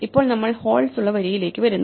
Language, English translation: Malayalam, Now we come to the row with holes